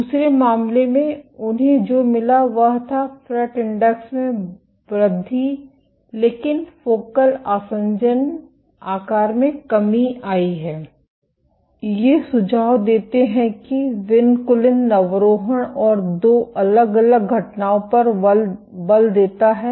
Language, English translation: Hindi, In the other case what they found was the FRET index increased, but the focal adhesion size is decreased These suggest that vinculin recruitment and force bearing at 2 separate events